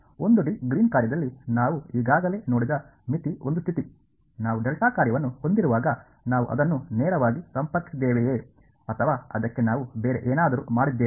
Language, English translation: Kannada, Limit is one thing we already seen in the 1 D Green’s function; when we had delta function, did we approach it directly or did we do something else to it